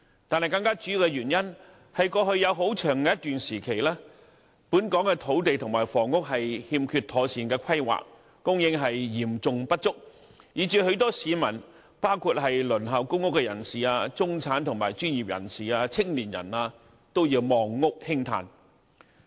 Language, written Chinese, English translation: Cantonese, 但是，更主要的原因，是過去有很長一段時期，本港土地和房屋欠缺妥善規劃，供應嚴重不足，以致許多市民，包括輪候公屋人士、中產、專業人士及青年人，都要"望屋興嘆"。, Nonetheless a more crucial reason is that for a very long time due to a lack of proper planning the supply of land and housing in Hong Kong has been seriously inadequate and as a result many people including those waiting for public rental housing PRH the middle class professionals and youngsters cannot but lament being unable to achieve home ownership